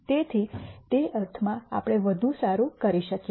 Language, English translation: Gujarati, So, in that sense we could do better